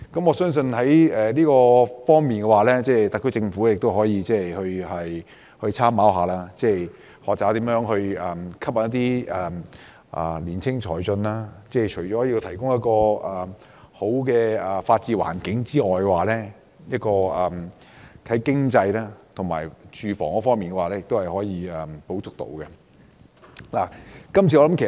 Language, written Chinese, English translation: Cantonese, 我相信在這方面，特區政府也可參考，學習如何吸引青年才俊到來，政府除了提供良好的法治環境外，在經濟及住屋方面亦可以提供一些補助。, The SAR Government can make reference to these approaches and learn how to attract young talents to come to Hong Kong . Apart from providing an environment with a sound rule of law the Government can also provide subsidies on the economic and housing fronts